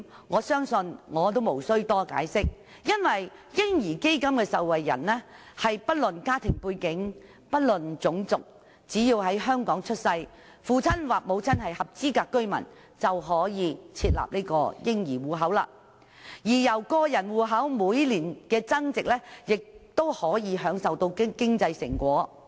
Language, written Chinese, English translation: Cantonese, 我相信這點我不用多作解釋，因為"嬰兒基金"的受惠人是不論家庭背景，不論種族，只要在香港出世，父親或母親是合資格居民，便可以開設嬰兒戶口，而個人戶口每年的增值，戶口持有人亦可以享受經濟成果。, I believe I need not elaborate further because everyone can benefit from the baby fund regardless of family background and race . So long as they were born in Hong Kong to an eligible resident they will be eligible to open a baby fund account . Since the value of a personal account will rise every year account holders may reap the fruits of economic development too